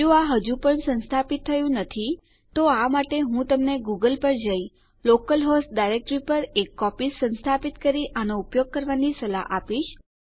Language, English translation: Gujarati, If it isnt installed yet, I would suggest you google it and install a copy on the local host directory and start using it